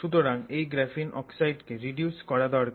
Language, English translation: Bengali, So, therefore we have to take this graphene oxide and reduce it